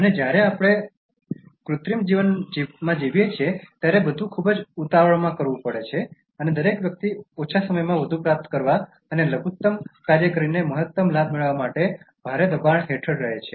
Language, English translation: Gujarati, And when we live in artificial life, everything has to be done in great hurry and everybody lives under enormous pressure to achieve more in less time and for getting maximum benefit by doing minimum work